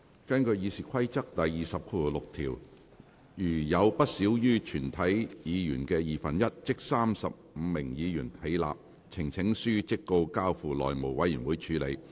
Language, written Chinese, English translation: Cantonese, 根據《議事規則》第206條，如有不少於全體議員的二分之一起立，呈請書即告交付內務委員會處理。, According to RoP 206 if no less than one half of all Members of the Council which is 35 Members rise the petition shall stand referred to the House Committee